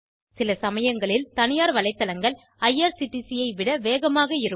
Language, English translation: Tamil, Sometimes private websites are faster than irctc